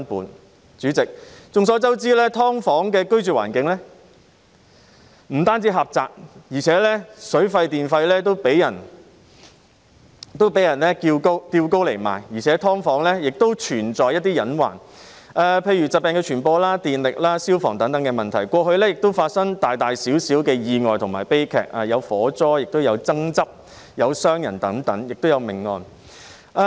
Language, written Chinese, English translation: Cantonese, 代理主席，眾所周知，"劏房"的居住環境不僅狹窄，而且水費和電費也被人提高，"劏房"亦存在一些隱患，例如疾病的傳播、電力和消防等問題，過去曾發生大小意外和悲劇，例如火災和爭執，亦曾發生傷人和命案。, Deputy President as we are aware not only is the living environment of subdivided units very cramped but the water and electricity charges for these units are also being raised by landlords . There are also some hidden hazards in subdivided units such as spreading of diseases and electricity and fire safety problems . In the past there were some accidents and tragedies of different scales such as fire accidents and fights among tenants and some personal injury and death cases did happen in such units